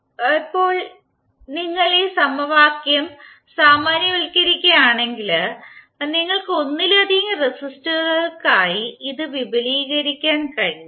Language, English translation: Malayalam, Now, if you generalize this particular equation, you can extend it for multiple resistors